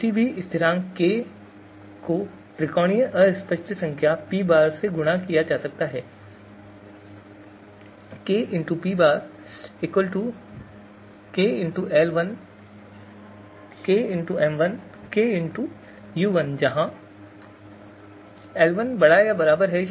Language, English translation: Hindi, So any constant k it can be multiplied by multiplied with the triangular fuzzy number P tilde